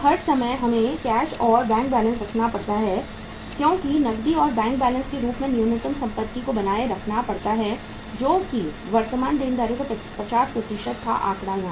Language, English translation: Hindi, All the times we have to keep the cash and bank balance because minimum asset as a cash or the bank balance has to be maintained which was 50% of the current liabilities figure here